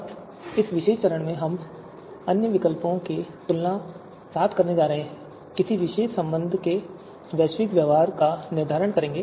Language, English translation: Hindi, Now in this particular stage, we are going to do comparisons with other alternatives and determine the global behaviour of a particular you know relation